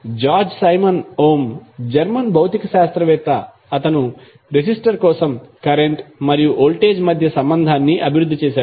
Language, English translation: Telugu, George Simon Ohm was the German physicist who developed the relationship between current and voltage for a resistor